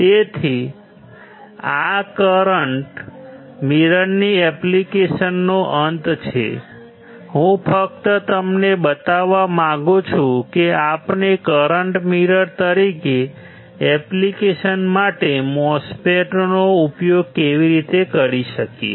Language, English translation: Gujarati, So, this is end of application of current mirror, I just wanted to show to you that how we can use MOSFET for a particular application that is the current mirror